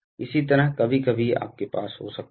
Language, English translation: Hindi, Similarly sometimes you can have